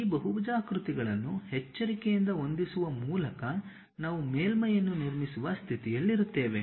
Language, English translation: Kannada, By carefully adjusting these polygons, we will be in a position to construct surface